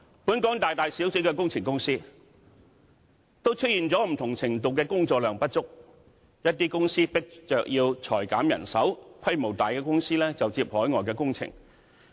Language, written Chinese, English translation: Cantonese, 本港大大小小的工程公司，都出現不同程度的工作量不足，一些公司被迫裁減人手，規模大的公司就接海外工程。, Engineering companies in Hong Kong big and small are all faced with the problem of insufficient workload . Some companies are forced to lay off staff while larger companies engage in overseas works projects